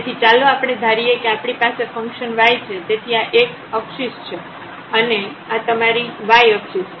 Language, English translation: Gujarati, So, let us consider here we have the function y so, this is x axis and this is your y axis